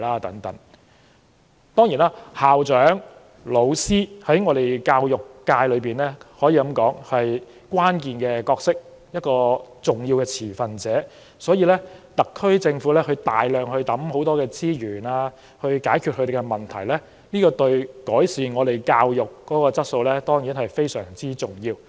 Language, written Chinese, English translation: Cantonese, 既然校長和教師在教育界中扮演着關鍵角色，也是重要的持份者，特區政府大量投放資源以解決他們面對的問題之舉，對於改善教育質素當然亦是相當重要。, School principals and teachers play a critical role in the education sector . They are also important stakeholders . The large resources injections by the SAR Government to address their problems are thus important in improving the education quality